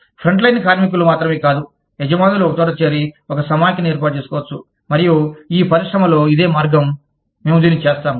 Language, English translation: Telugu, Not only the frontline workers, but the employers could get together, and form a confederation, and say, in this industry, this is the way, we will do it